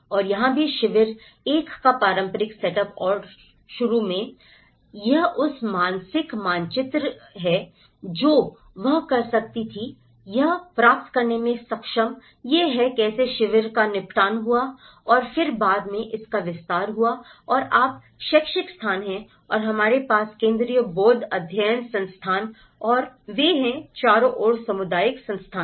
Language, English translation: Hindi, And here also the whole setup of camp 1 and initially, this is from the mental map she could able to procure that, this is how the camps have settled and then later it has expanded and you have the educational spaces and we have the Central Institute of Buddhist Studies and they have the community spaces all around